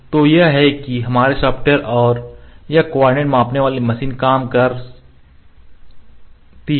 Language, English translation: Hindi, So, this is how our software and this coordinate measuring machine works